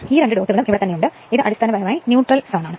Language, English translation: Malayalam, And these two dots are here, this is basically the neutral zone right